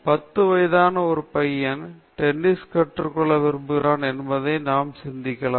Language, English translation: Tamil, Let us consider that a ten year old, a ten year old boy, wants to learn tennis